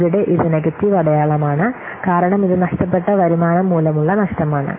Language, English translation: Malayalam, So here it is negative sign because this is loss due to the lost revenue